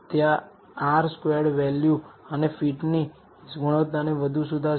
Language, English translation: Gujarati, That will improve the R squared value and the fit quality of the fit little more